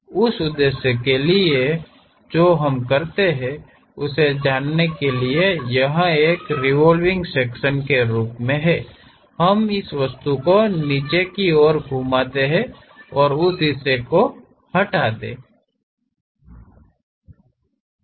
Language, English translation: Hindi, For that purpose what we do is by knowing it is as a revolve section, we rotate this object downwards, remove that portion show it